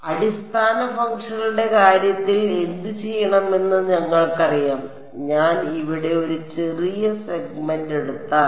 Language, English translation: Malayalam, So, we already know what to do in terms of the basis functions, if I take one small segment over here right